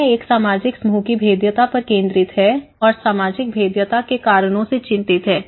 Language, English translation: Hindi, So, it focuses on the vulnerability of a social group and is concerned with the causes of the social vulnerability